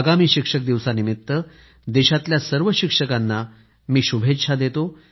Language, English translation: Marathi, I felicitate all the teachers in the country on this occasion